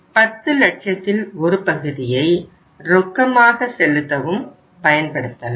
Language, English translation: Tamil, Part of the 10 lakh can be used for making the payments as a cash